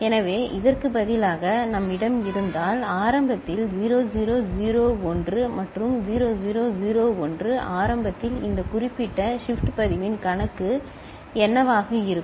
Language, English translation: Tamil, So, if we have instead of this one, right so 0 0 0 1 and 0 0 0 1 initially then what will be the account by this particular shift register